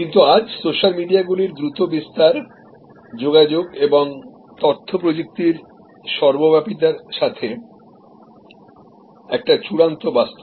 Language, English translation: Bengali, But, today with the rapid proliferation of social media and ubiquitousness of communication and information technology, this is an absolute reality